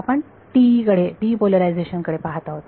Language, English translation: Marathi, We are looking at TE polarization